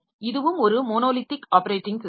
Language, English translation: Tamil, So, that is one such monolithic piece of operating system